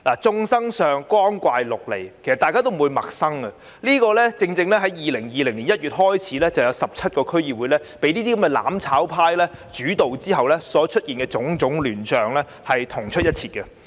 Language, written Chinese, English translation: Cantonese, 眾生相，光怪陸離，大家已不感陌生，這與自2020年1月有17個區議會被"攬炒派"主導後所出現的種種亂象同出一轍。, The unusual and bizarre situations are probably nothing new for Members as they are essentially the same as the chaos occurred after January 2020 when the mutual destruction camp dominated 17 DCs